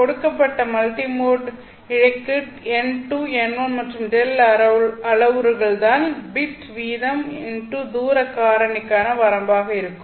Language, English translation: Tamil, And for a given multi mode fiber with the parameters n2, n1 and delta known to you, this would be the limit on the bitrate into distance factor